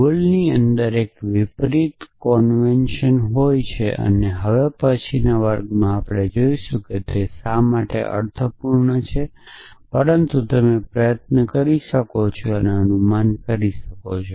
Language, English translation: Gujarati, convention is reverse essentially and the next class we will see why that makes sense but you can try and guess